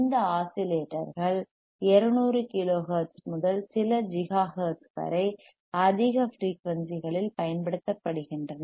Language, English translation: Tamil, Theseis oscillators are used you see at higher frequenciesy from 200 kilo hertz to up to a few giga hertz